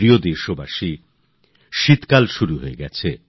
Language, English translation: Bengali, My dear countrymen, winter is knocking on the door